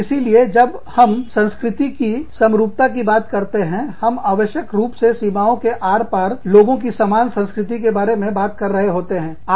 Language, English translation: Hindi, So, when we talk about, the homogenization of cultures, we are essentially talking about, people having similar cultures, across the board